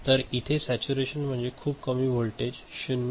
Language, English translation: Marathi, So, this will be put to saturation very low voltage 0